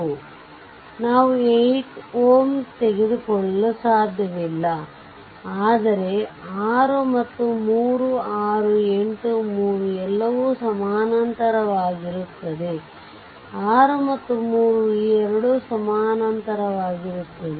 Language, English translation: Kannada, So, we cannot a your eliminate 8 ohm, but 6 and 3, 6, 8, 3 all are in parallel, but take the equivalent of 6 and 3 these two are in parallel